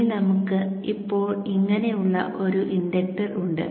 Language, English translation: Malayalam, So this has to be designed as an inductor as it acts like one